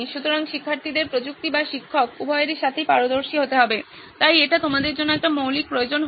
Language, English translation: Bengali, So students have to be well versed with tech or the teacher or both, so that would be a basic requirement for you guys